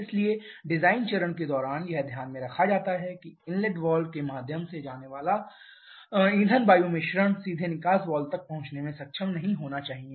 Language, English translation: Hindi, Therefore during the design stage it is kept into consideration that the inlet valve or SOI the fuel air mixture coming through the inlet valve should not be able to reach the exhaust valve directly